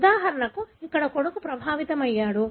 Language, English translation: Telugu, For example, here the son is affected